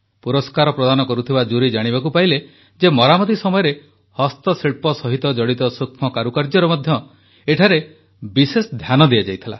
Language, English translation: Odia, The jury that gave away the award found that during the restoration, the fine details of the art and architecture were given special care